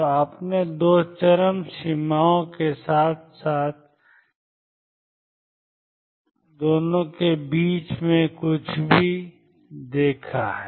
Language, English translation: Hindi, So, you have seen the 2 extremes as well as something in between